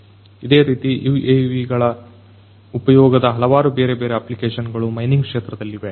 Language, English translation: Kannada, Like this there are different other applications of use of UAVs in the mining sector